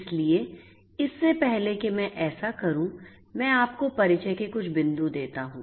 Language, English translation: Hindi, So, let me give you some points of introduction